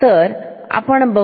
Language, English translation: Marathi, So, we see